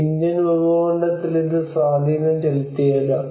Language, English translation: Malayalam, It may have impact in the Indian subcontinent